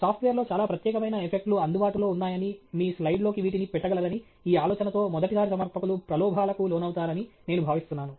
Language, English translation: Telugu, I think first time presenters may be tempted by this idea that there are lot of special effects available in software which you can throw into your slide and so on